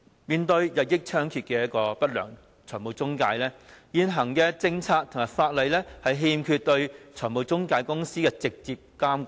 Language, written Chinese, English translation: Cantonese, 面對中介公司日益猖獗的不良行為，現行的政策和法例欠缺對中介公司的直接監管。, While the unscrupulous practices of intermediaries have become increasingly rampant direct regulation of intermediaries is lacking in the existing policies and legislation